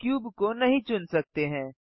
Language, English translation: Hindi, The cube cannot be selected